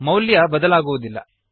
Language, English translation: Kannada, The value wont change